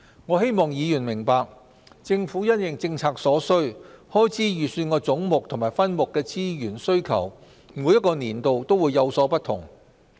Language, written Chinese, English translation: Cantonese, 我希望議員明白，政府因應政策所需，開支預算的總目和分目的資源需求每個年度也會有所不同。, I hope Members understand that the Government will make adjustments in response to the different needs of various policies as the demand for resources under heads and subheads of each years estimates would vary from one policy area to another